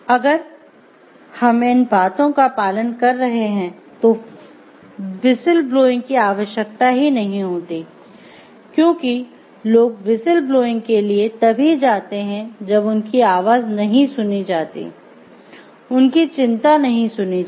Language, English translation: Hindi, So, if we are following these things the need for whistle blowing may not even arise because people go for whistle blowing only when their; people go for whistle blowing only when they feel like their voices are not heard, their concerns are not heard